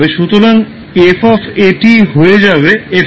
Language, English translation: Bengali, So, f of at will become fx